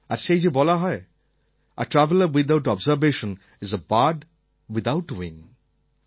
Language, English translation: Bengali, Someone has rightly said that "A traveller without observation is a bird without wings"